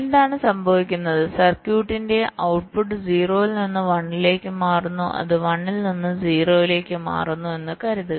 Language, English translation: Malayalam, so what might happen is that, ah, suppose the output of the circuit, so it is changing from zero to one, it is changing from one to zero